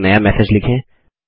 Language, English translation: Hindi, Lets compose a new message